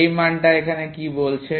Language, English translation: Bengali, What are these values saying here